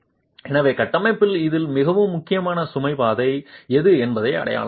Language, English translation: Tamil, So identify which is the critical, most critical element, which is the most critical load path in this structure